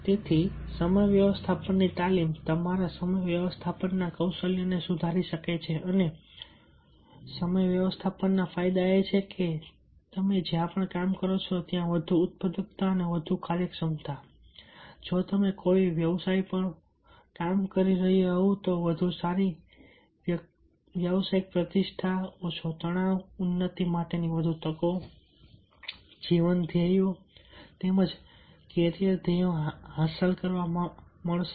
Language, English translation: Gujarati, so therefore, time management training can improve your time management skills and benefits of time management is that greater productivity and greater efficiency wherever you work, a better professional reputation if you are working on a profession, less stress, increased opportunities for advancement, greater opportunities to achieve the life goals as well as the carrier goals and if you fail to manage time, then you are missing the deadlines